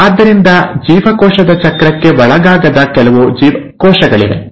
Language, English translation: Kannada, So, there are certain cells which will not undergo cell cycle